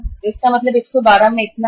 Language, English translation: Hindi, So it means 112 into uh this much